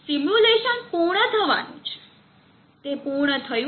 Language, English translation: Gujarati, So the simulation is now about to complete and it has completed